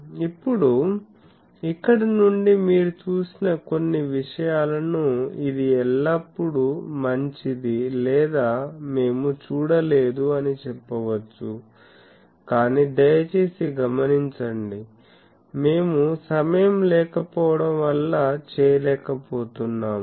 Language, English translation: Telugu, Now, from here we will take certain things that you have seen that it is always better or we have not seen that, but please note actually due to lack of time we did not do that